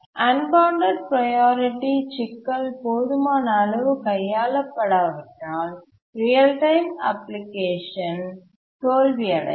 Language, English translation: Tamil, Unless the unbounded priority problem is handled adequately, a real time application can fail